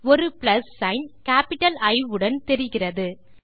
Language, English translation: Tamil, You will see a plus sign with a capital I